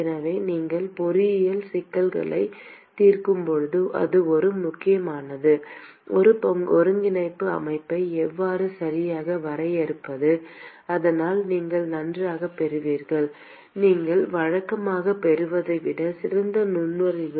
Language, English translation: Tamil, So, this is very very important when you are solving engineering problems how to define a coordinate system correctly so that you would get very good much better insight than what you would normally get otherwise